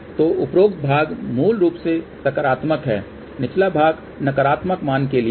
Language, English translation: Hindi, So, the above portion is basically for positive portion, the lower portion is for the negative value